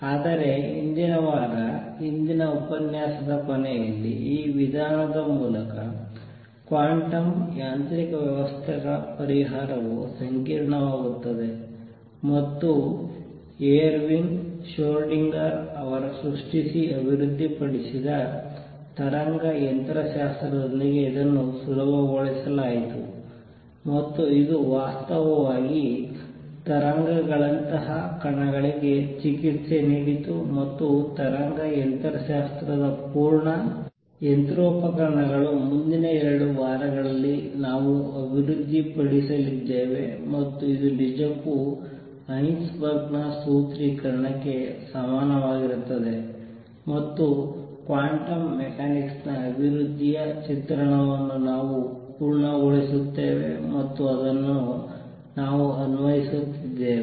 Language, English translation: Kannada, However as I commented towards the end of the last lecture, previous week, solution of quantum mechanical systems through this method becomes complicated and it was made easy with the birth of wave mechanics which was developed by Ervin Schrodinger and it actually treated particles like waves and the full machinery of wave mechanics is what we are going to develop over the next 2 weeks and show that this indeed is equivalent to Heisenberg’s formulation and that kind of complete the picture of development of quantum mechanics and along the way we keep applying it